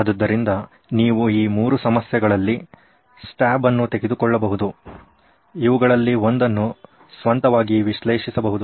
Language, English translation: Kannada, So you can take a stab at these 3 problems, in one you can analyse on your own